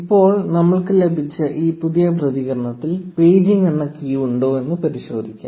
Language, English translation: Malayalam, And now we will check, if this new response that we got has a key named paging in it